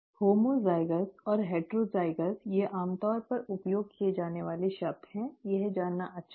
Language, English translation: Hindi, Homozygous and heterozygous, these are commonly used terms, it is nice to know